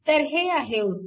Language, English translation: Marathi, This is the answer